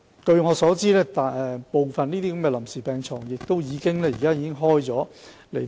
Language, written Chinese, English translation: Cantonese, 據我所知，這些臨時病床部分已投入服務。, As far as I know it some of these temporary beds have already been added for use